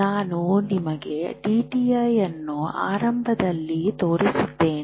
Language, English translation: Kannada, This is what I showed you DTI in the beginning